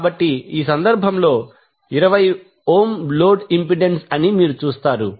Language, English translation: Telugu, So, in this case, you will see that the 20 ohm is the load impedance